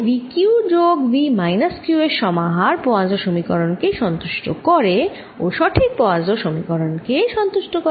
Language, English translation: Bengali, so the combination v, q plus v minus q satisfies the correct poisson's equation and the correct boundary condition